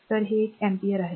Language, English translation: Marathi, So, this is one ampere